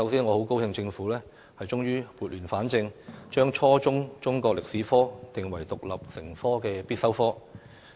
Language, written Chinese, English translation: Cantonese, 我很高興政府終於撥亂反正，將初中中國歷史科定為獨立成科的必修科。, I am very glad that the Government has finally put things right by making Chinese History an independent and compulsory subject at junior secondary level